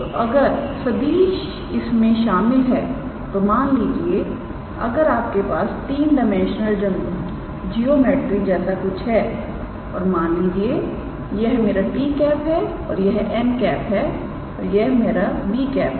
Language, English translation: Hindi, So, if the vector is containing let us say if you have something like a three dimensional geometry and if we have let us say this, this and this if this is my t this is my n and this is my b